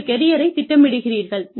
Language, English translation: Tamil, You planned your career